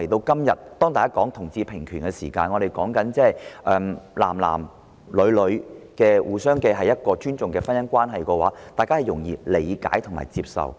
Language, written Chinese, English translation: Cantonese, 今天討論同志平權時，對於同性之間締結互相尊重的婚姻關係，大家可能會較容易理解和接受。, When we talk about equal rights for homosexuals today people may find it easier to understand and accept same - sex marriage on the basis of mutual respect